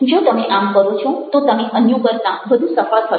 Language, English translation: Gujarati, if you do that, then you are going to be more successful than others